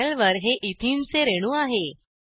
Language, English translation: Marathi, This is a molecule of ethene on the panel